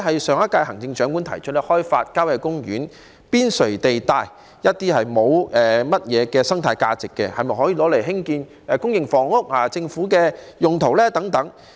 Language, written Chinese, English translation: Cantonese, 上一屆行政長官提出開發郊野公園邊陲地帶內一些沒有太多生態價值的土地，用作興建公營房屋、政府用途等設施。, The last Chief Executive proposed developing sites with relatively low ecological value on the periphery of country parks for the construction of public housing facilities for government uses and so on